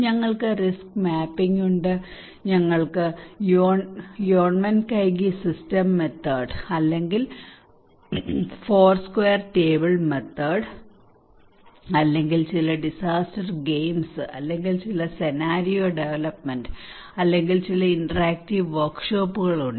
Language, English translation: Malayalam, We have risk mapping, we have Yonnmenkaigi system method or Foursquare table method or maybe disaster games or maybe some scenario development or some interactive workshops